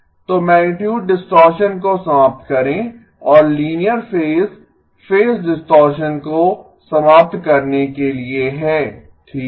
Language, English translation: Hindi, So eliminate magnitude distortion and the linear phase is to eliminate phase distortion okay